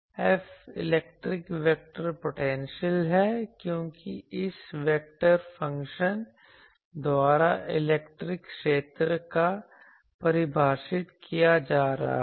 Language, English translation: Hindi, F is electric vector potential because electric field is getting defined by this vector function